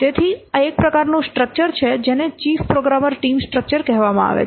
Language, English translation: Gujarati, So, this is one type of structure called as chief programmer